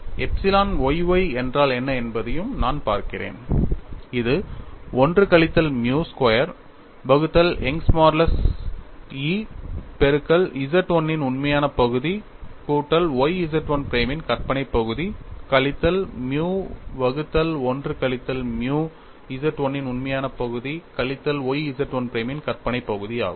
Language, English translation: Tamil, So, I get epsilon x x equal to 1 minus nu squared divided by Young's modulus multiplied by a real part of Z 1 minus y imaginary part of Z 1 prime minus nu by 1 minus nu real part of Z 1 plus y imaginary part of Z 1 prime, then I also look at what is epsilon y y, it is 1 minus nu square divided by Young's modulus into real part of Z 1 plus y imaginary part of Z 1 prime minus nu by 1 minus nu real part of Z 1 minus y imaginary part of Z 1 prime